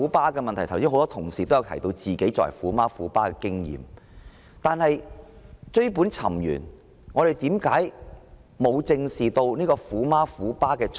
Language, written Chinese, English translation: Cantonese, 剛才很多同事也提到自己身為"虎媽"或"虎爸"的經驗，但追本尋源，為何會出現"虎媽"、"虎爸"？, Just now a number of colleagues talked about their personal experience as tiger parents . Yet looking back to the root cause we must ask Where do tiger parents come from?